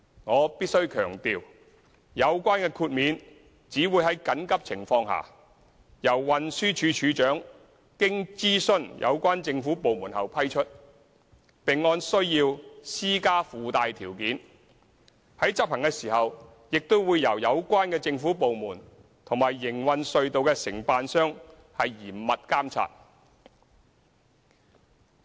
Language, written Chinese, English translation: Cantonese, 我必須強調，有關豁免只會在緊急情況下，由運輸署署長經諮詢有關政府部門後批出，並按需要施加附帶條件，在執行時亦會由有關政府部門和營運隧道的承辦商嚴密監察。, I must stress that the Commissioner for Transport will only grant this exemption under emergency situations with any necessary conditions after consultation with relevant government departments . And the government departments concerned and contractors operating the tunnels will closely supervise the execution of the permission